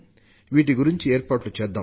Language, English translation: Telugu, What are the arrangements for them